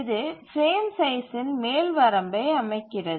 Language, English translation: Tamil, So this sets an upper bound for the frame size